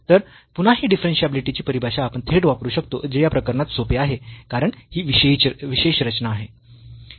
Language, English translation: Marathi, So, again this we can directly use this definition of the differentiability which is much easier in this case because of this special structure